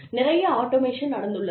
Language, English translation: Tamil, A lot of automation, has taken place